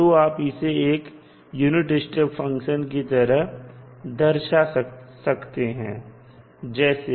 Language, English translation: Hindi, So, how the unit step function will look like